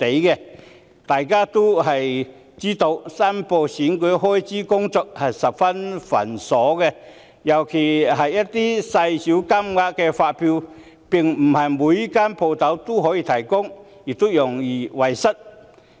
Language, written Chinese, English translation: Cantonese, 眾所周知，申報選舉開支的工作十分繁瑣，尤其是一些金額細小的發票，並非所有店鋪均能提供，亦容易遺失。, As we all know the declaration of election expenses is a very tedious task especially for invoices involving a small amount which may not be provided by all shops and it is also easy to lose them